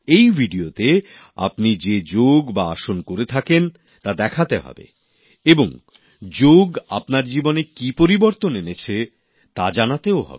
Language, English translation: Bengali, In this video, you have to show performing Yoga, or Asana, that you usually do and also tell about the changes that have taken place in your life through yoga